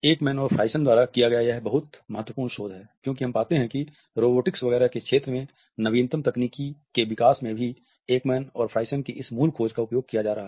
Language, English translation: Hindi, This is a very significant research by Ekman and Friesen, because we find that the latest technological developments in the area of robotics etcetera are also using this basic finding by Ekman and Friesen